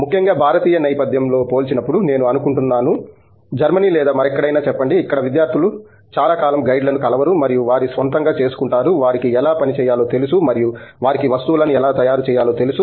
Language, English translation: Telugu, Particularly, in the Indian setting I think when compared to let’s say Germany or somewhere else where students do not meet the guides for very long time and still on their own because they know how to work with their canes and they know how to craft things and so on